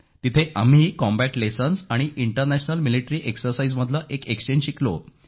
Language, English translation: Marathi, Here we learnt an exchange on combat lessons & International Military exercises